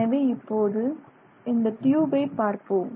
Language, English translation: Tamil, So, this is a twisted tube